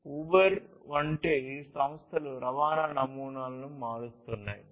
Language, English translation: Telugu, Companies such as Uber are transforming the models of transportation